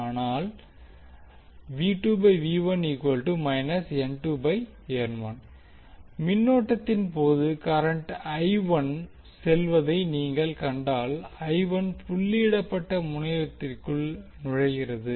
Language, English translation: Tamil, While in case of current, if you see current is going I 1 is going inside the dotted terminal